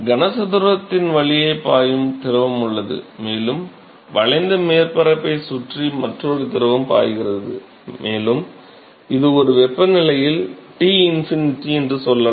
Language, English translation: Tamil, So, this is there is the fluid which is flowing through the cube, and there is another fluid which is flowing around this around the curved surface and let us say that this at a temperature Tinfinity